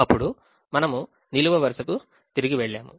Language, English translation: Telugu, then we went back to the column